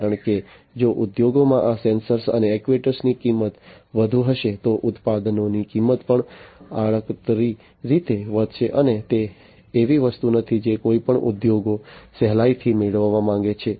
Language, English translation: Gujarati, Because if the cost of these sensors and actuators in the industries are going to be higher, then the cost of the products are also indirectly going to be increased and that is not something that any of the industries would readily want to have